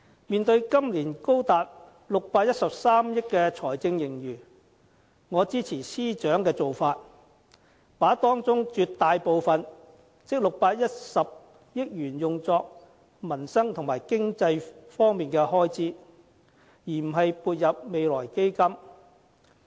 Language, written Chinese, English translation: Cantonese, 面對今年高達613億元的財政盈餘，我支持司長的做法，把當中的絕大部分，即610億元用作民生和經濟方面的開支，而不是撥入未來基金。, With as much as 61.3 billion surplus in reserve this year I support the Financial Secretary to use a large part of it that is 61 billion on livelihood and economic spending rather than putting it in the Future Fund